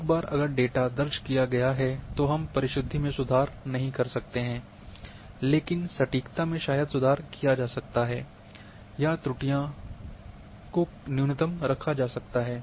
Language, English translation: Hindi, Once data has been recorded precision cannot be improved, but accuracy probably can be improved or the errors can be kept at minimum